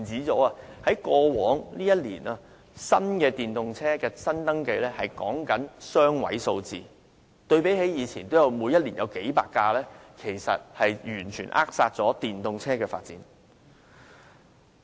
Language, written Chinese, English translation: Cantonese, 在過往一年，電動車新登記只有雙位數字，相比以前每年也有數百輛，是完全扼殺了電動車發展。, Over the past year new registration of electric vehicles recorded only a two - digit increase in contrast to increases of a few hundred vehicles per year previously . The Government has totally strangled the development of electric vehicles